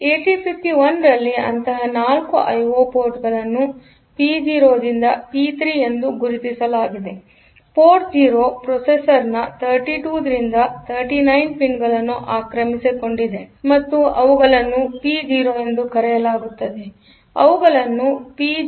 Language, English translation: Kannada, So, in 8051 there are 4 such I O ports marked as P 0 to P 3; port 0, they occupied the pins 32 to 39 of the processor of the chip and they are called P 0